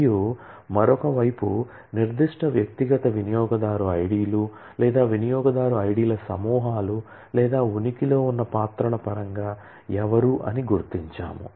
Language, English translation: Telugu, And on the other side, we will identify who in terms of specific individual user IDs or groups of user IDs or roles that exist